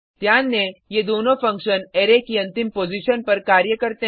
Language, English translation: Hindi, Note: Both these functions work at last position of an Array